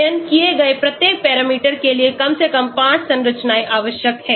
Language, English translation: Hindi, At least 5 structures are required for each parameter studied